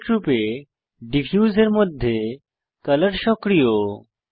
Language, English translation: Bengali, By default, Color under Diffuse is enabled